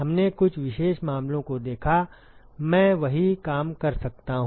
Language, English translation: Hindi, We looked at some of the special cases, I can do the same thing